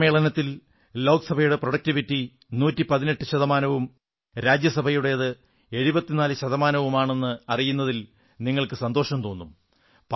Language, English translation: Malayalam, You will be glad to know that the productivity of Lok Sabha remained 118 percent and that of Rajya Sabha was 74 percent